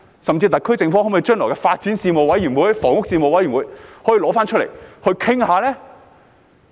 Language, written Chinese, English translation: Cantonese, 甚至特區政府可否將來在發展事務委員會或房屋事務委員會再提出來討論呢？, Or to go a step further can the SAR Government broach it again in the Panel on Development or Panel on Housing in the future?